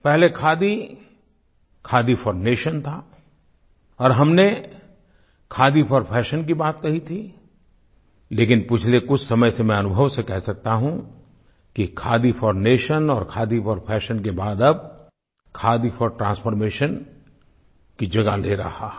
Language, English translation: Hindi, Khadi was Khadi foundation earlier and we talked of Khadi fashion but with my recent experience I can say that after Khadi for nation and Khadi for fashion now, it is becoming Khadi for transformation